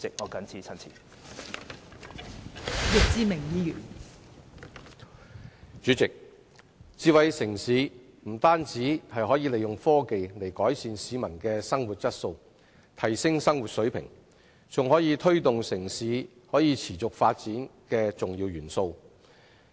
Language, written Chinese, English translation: Cantonese, 代理主席，發展智慧城市不但可利用科技改善市民的生活質素，提升生活水平，更是推動城市可持續發展的重要一環。, Deputy President smart city development can not only improve the quality of life of the public and upgrade their living standard through the application of technology it is also an important link in promoting the sustainable development of a city